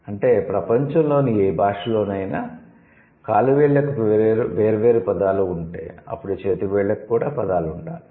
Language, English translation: Telugu, So, that is why if a language has words for individual toes, it must have words for the individual fingers